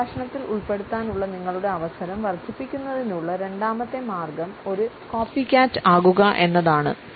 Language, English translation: Malayalam, The second way to increase your chance of being included in the conversation is to be a copycat